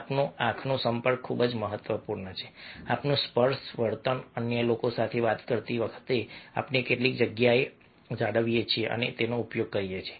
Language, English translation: Gujarati, our eye contact is very, very important, our touching behavior, how much space we maintain and use while talking with others